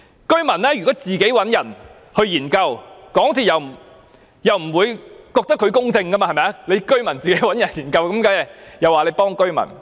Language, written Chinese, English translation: Cantonese, 居民如果自行找人進行研究，港鐵公司也不會接受這是公正的做法，認為會偏幫居民。, If the residents engage other people on their own to look into their cases MTRCL would not consider it a fair practice that is not biased in favour of the residents